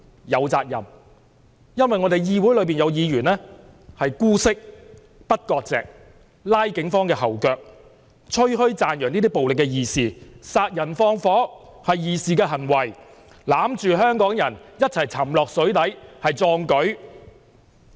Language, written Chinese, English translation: Cantonese, 有責任，因為議會中有議員姑息這些暴徒，不割席，拉警方後腿，吹噓讚揚這些暴徒為義士，說殺人放火是義士的行為，攬着香港人一起沉到水底是壯舉。, Because in this Council there are Members condoning these rioters and refusing to sever ties with them . They impeded the work of the Police praising these rioters as righteous fighters and making boastful claims that killings and arson are chivalrous acts and that taking Hongkongers down all the way to the bottom of the sea is a heroic feat